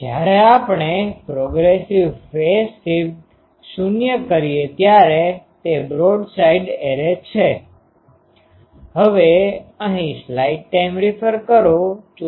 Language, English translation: Gujarati, When the progressive phase shift we make 0, that is a broadside array